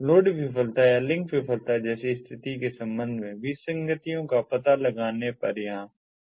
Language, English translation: Hindi, beaconing rate over here increases on detecting inconsistencies with respect to situation such as load failure or link failure